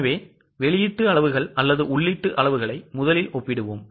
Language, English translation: Tamil, So, shall we compare output quantities or input quantities